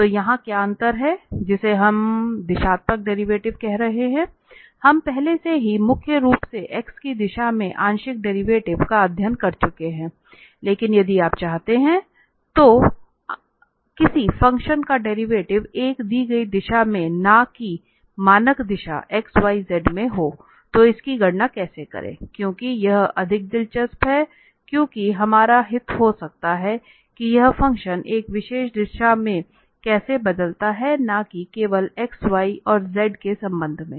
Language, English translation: Hindi, So, what is the difference here what we are calling the directional derivative we have studied already the derivative mainly the partial derivative in the direction of x partial derivative with respect to y partial derivative with respect to z, but if you want, if you want to have the derivative of a function in a given direction not in the standard direction x, y, z then what how to compute that, because that is more general and more interesting, because our interest may be that how this function changes in a particular direction, not just with respect to x, y and z